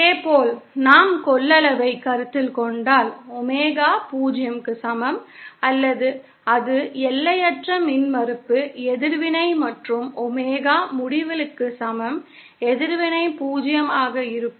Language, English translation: Tamil, Similarly if we consider capacitance, then for Omega is equal to 0, it will be infinite impedance reactance and for omega is equal to Infinity, reactance will be 0